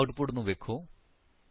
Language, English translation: Punjabi, Now observe the output